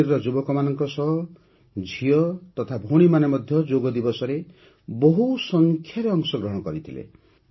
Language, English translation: Odia, In Kashmir, along with the youth, sisters and daughters also participated enthusiastically on Yoga Day